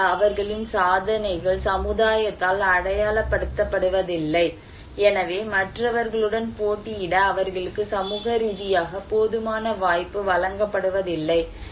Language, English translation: Tamil, Generally, their achievements are not achieved by society, so they are not given enough opportunity socially to compete with other